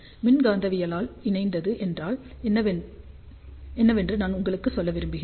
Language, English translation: Tamil, I just want to tell you what is electromagnetically coupled